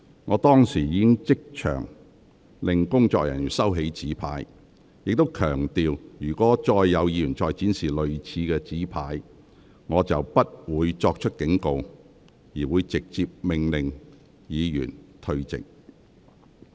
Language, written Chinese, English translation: Cantonese, 我當時已即場命令工作人員收起紙牌，並強調若有議員再次展示類似的紙牌，我將不會再作警告，而會直接命令有關議員退席。, At that time I immediately ordered Secretariat staff to remove the placard and stressed that I would directly order any Member who displayed similar placards again to withdraw from the Council immediately without any further warning